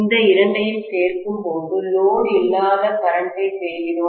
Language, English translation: Tamil, When we add these two, we are getting the no load current